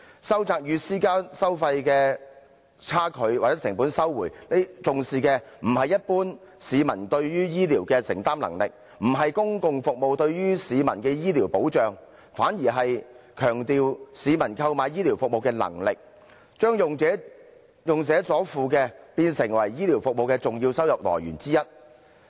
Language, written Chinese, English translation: Cantonese, 收窄與私營服務收費的差距或成本收回，重視的不是一般市民對於醫療的承擔能力，也不是公共服務對於市民的醫療保障，反而是強調市民購買醫療服務的能力，將用者所付變成醫療服務的重要收入來源之一。, The objective of narrowing the discrepancy between public - sector and private - sector healthcare charges or to recover the costs does not give priority to the publics affordability nor the provision of healthcare protection to the public by the public sector . This on the contrary emphasizes the purchasing power of the public in procuring healthcare services making the payments made by users a major source of income for healthcare services